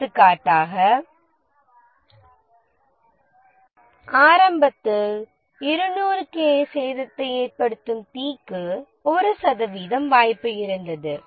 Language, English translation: Tamil, For example that initially we had 1% chance of a fire causing 200k damage